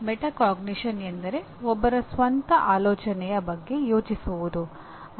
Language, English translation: Kannada, Metacognition is thinking about one’s own thinking